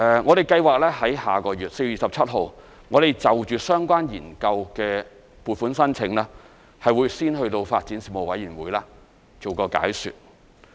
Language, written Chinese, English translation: Cantonese, 我們計劃在下個月 ，4 月27日，就相關研究的撥款申請先到發展事務委員會作出解說。, We are planning to brief the Panel on Development about the relevant funding application on 27 April